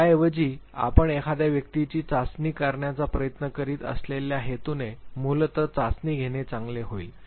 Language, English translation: Marathi, Rather, it would be good to take a test which basically serves the purpose for which you are trying to test the individual